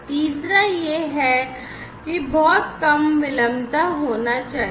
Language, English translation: Hindi, The third one is that there has to be very low latency